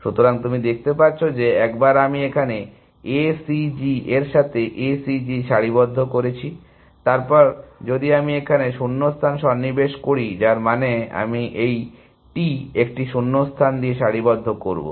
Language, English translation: Bengali, So, you can see that, that once I align A C G with A C G here, then if I insert the gap here, which means, I will align this T with a gap